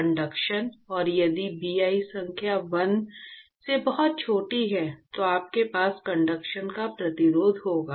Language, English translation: Hindi, Conduction and if Bi number is much smaller than 1, then you will have resistance to conduction